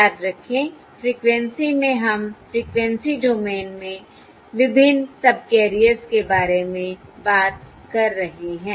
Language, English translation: Hindi, Remember, in the frequency we are talking about the various subcarriers in the frequency domain